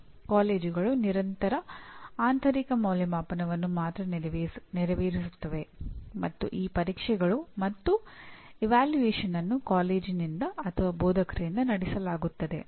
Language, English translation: Kannada, Whereas the college has only access to Continuous Internal Evaluation and both the tests as well as evaluation is conducted by the college or by the institructor